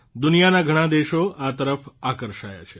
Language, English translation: Gujarati, Many countries of the world are drawn towards it